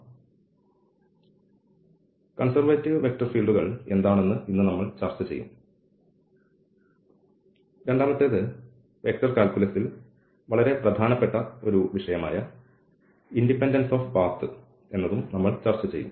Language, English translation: Malayalam, So, today we will discuss that what are these conservative vector fields and the second again is very important topic in a vector calculus we will discuss Independence of Path